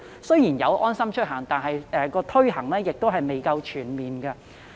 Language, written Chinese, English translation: Cantonese, 雖然現已有"安心出行"應用程式，但推行卻未夠全面。, Even though the mobile application LeaveHomeSafe has now been launched its implementation is not comprehensive enough